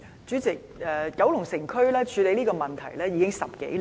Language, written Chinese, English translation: Cantonese, 主席，九龍城區處理這個問題已10多年。, President it has been over 10 years since the Kowloon City District began to deal with this issue